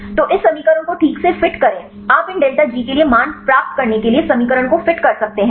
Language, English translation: Hindi, So, fit this equation right you can fit this equation to get the value for these delta G